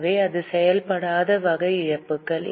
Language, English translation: Tamil, So, this is a non operating type of losses